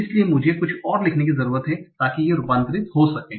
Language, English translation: Hindi, So I need to write some rules so that this can be transformed